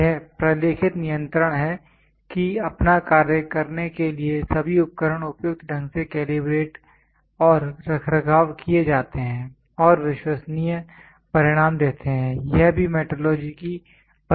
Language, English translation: Hindi, It is the documented control that all equipments is suitably calibrated and maintained in order to perform it is function and give reliable results is also the definition for metrology